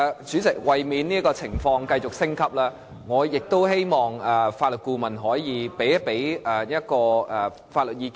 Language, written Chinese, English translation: Cantonese, 主席，為免情況繼續升級，我希望法律顧問可以向議員提供一些法律意見。, President to prevent the continued escalation of the situation I hope the Legal Adviser could give Members some legal advice